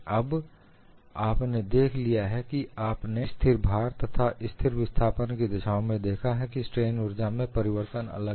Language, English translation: Hindi, Now, you have seen when you look at the situation under constant load and constant displacement, the strain energy changes or differ